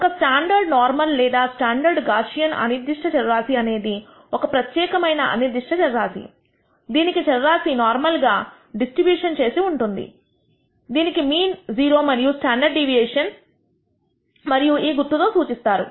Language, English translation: Telugu, A standard normal or standard Gaussian random variable is a particular random variable, which has normally distributed random variable which has mean 0 and standard deviation one and denoted by this symbol